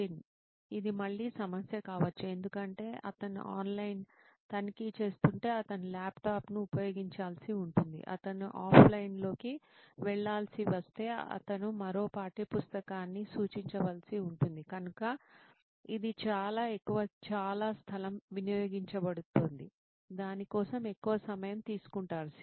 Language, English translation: Telugu, This could again be a problem because he has to go to some other kind of a resource may be if he is checking online he has to use a laptop, if he has to go offline he again has to refer another textbook, so it amounts too lot of space being consumed, a lot of time being consumed for it is learning activity to take place